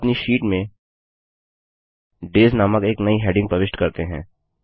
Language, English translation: Hindi, Now lets insert a new heading named Days in our sheet